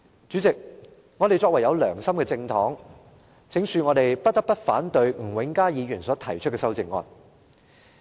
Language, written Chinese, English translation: Cantonese, 主席，我們作為有良心的政黨，不得不反對吳永嘉議員提出的修正案。, President as members of a political party with conscience we are obliged to oppose the amendment proposed by Mr Jimmy NG